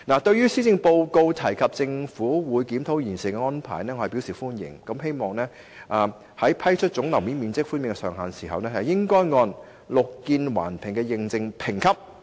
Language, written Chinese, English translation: Cantonese, 對於施政報告提出政府會檢討現時"綠建環評"的安排，我表示歡迎，希望政府在釐定和批出總樓面面積寬免的上限時，可按"綠建環評"的認證評級。, I welcome a proposal in the Policy Address the proposal of conducting a government review of the existing BEAM Plus arrangement . I hope the Government can determine and approve maximum gross floor area concessions based on BEAM Plus ratings